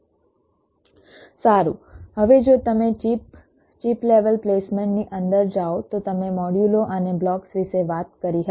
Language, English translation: Gujarati, well now, if you go inside the chip chip level placement, you talked about the modules and the blocks